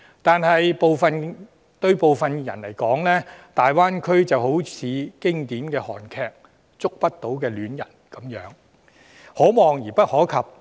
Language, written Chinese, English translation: Cantonese, 但對部分人士來說，大灣區好像經典韓劇"觸不到的戀人"一般，可望而不可及。, But to some people the Greater Bay Area is really as remote as the distance between the two protagonists in the classic Korean movie Siworae Il Mare who can only be in touch with each other in a distance